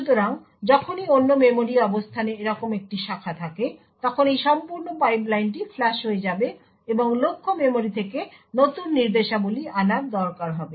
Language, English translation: Bengali, So, every time there is a branch like this to another memory location, this entire pipeline would get flushed and new instructions would need to be fetched from the target memory